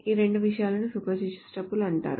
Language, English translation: Telugu, So these two things are called spurious tuples